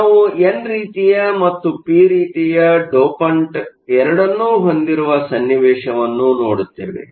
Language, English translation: Kannada, We will look at a situation, where we have both the n type and the p type dopant